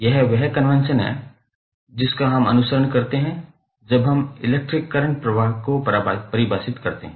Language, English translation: Hindi, So, that is the convention we follow when we define the electric current